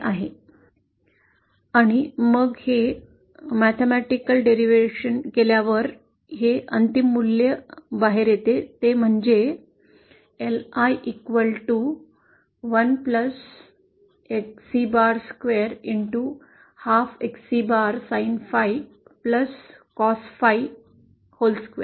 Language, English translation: Marathi, e And then the final value that comes out after doing this mathematical derivation is LI 1 + XC square half XC bar Sin phi + Cos phi whole square